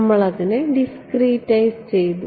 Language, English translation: Malayalam, We discretise it right